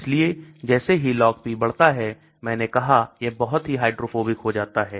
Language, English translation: Hindi, So as the Log P increases as I said it becomes very hydrophobic